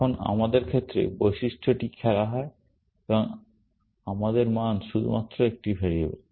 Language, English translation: Bengali, Now, in our case, the attribute is played and our value is only a variable